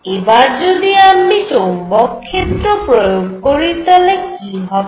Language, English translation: Bengali, What happens now if I apply a magnetic field